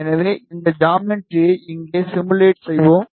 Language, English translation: Tamil, So, we will just simulate this geometry here